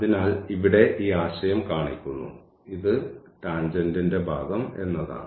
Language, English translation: Malayalam, So, the idea is that here this is just shown this part of the tangent